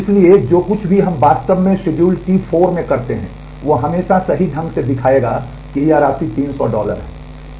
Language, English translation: Hindi, So, whatever way we actually do the schedule T 4 will always correctly show, that the sum is three hundred dollar